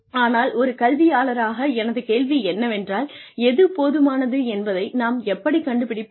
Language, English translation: Tamil, But, my question as an academician is, how do we figure out, what is enough